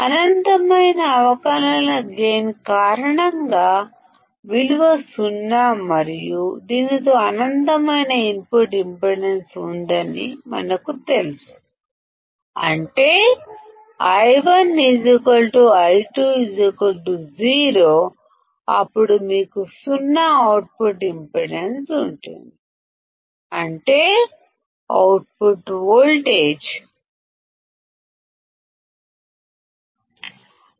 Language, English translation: Telugu, Because of the infinite differential gain, the value is 0 and we know that it has infinite input impedance; that means, I1 equals to I2 equals to 0, then you have 0 output impedance; that means, the output voltage will be nothing but Vo equal to V1 minus I1 into R 2 which is correct